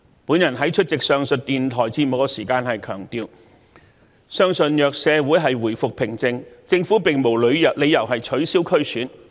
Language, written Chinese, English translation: Cantonese, 我在出席上述電台節目時強調，相信若社會回復平靜，政府並無理由取消區議會選舉。, When attending the radio programme mentioned above I have emphasized that if the community returned to peace the Government would have no reason to cancel the DC Election